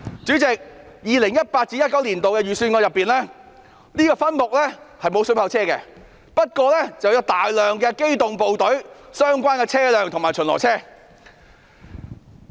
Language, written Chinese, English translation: Cantonese, 在 2018-2019 年度的預算案中，這個分目並不包括水炮車，但包括大量機動部隊的相關車輛及巡邏車。, In the 2018 - 2019 Budget this subhead did not include water cannon vehicles but a large number of Police Tactical Unit PTU vehicles